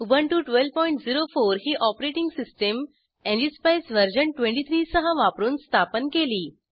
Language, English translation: Marathi, Ubuntu 12.04 is the operating system used with ngspice version 23 installed